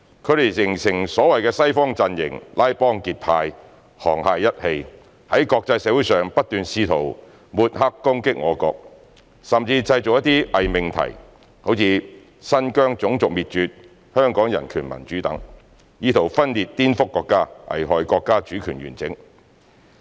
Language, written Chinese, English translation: Cantonese, 他們形成所謂的"西方陣營"，拉幫結派、沆瀣一氣，在國際社會上不斷試圖抹黑攻擊我國，甚至製造一些偽命題，如"新疆種族滅絕"、"香港人權民主"等，以圖分裂顛覆國家，危害國家主權完整。, By forming cliques and colluding with each other the Western camp has attempted to smear and attack our country in the international community or put forward some false propositions such as the genocide in Xinjiang and Hong Kong human rights and democracy with the intent to separate and subvert our country and endanger its sovereignty integrity